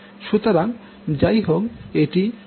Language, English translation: Bengali, So, this will be anyway become zero